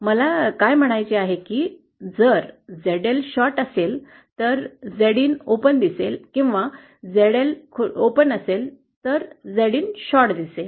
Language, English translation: Marathi, What I mean is if ZL is the short then Z in will appear to be as an open or if ZL is an open then Z in will appear to be a short